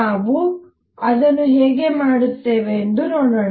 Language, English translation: Kannada, Let us see how we do that